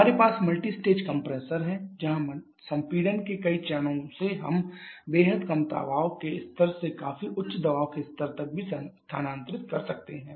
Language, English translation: Hindi, We have multi stage compressor where by several stages of compression we can we can move from extremely low pressure levels to significantly high pressure levels as well